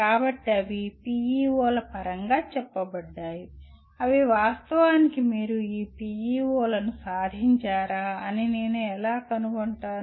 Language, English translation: Telugu, So they are stated in terms of PEOs saying that how do I find out whether they are actually that you have attained these PEOs